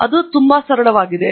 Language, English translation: Kannada, It is as simple as that